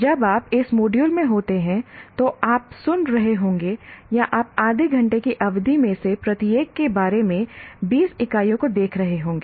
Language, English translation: Hindi, So you will be, in this module, you will be listening to or you will be viewing 20 units of about half hour